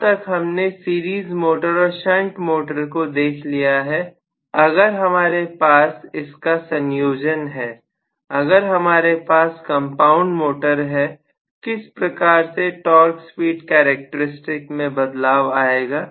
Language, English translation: Hindi, So, now that we have seen the series motor as well as shunt motor, if we have a combination, if we have compound motors, how are the speed torque characteristics going to change